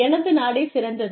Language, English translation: Tamil, My country is the best